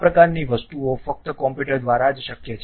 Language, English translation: Gujarati, These kind of things can be possible only through computers